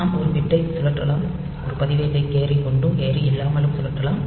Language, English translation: Tamil, So, we can rotate a register, a register can be rotated via carry without carry etcetera